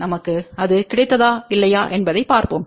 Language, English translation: Tamil, Let us see whether we have got that or not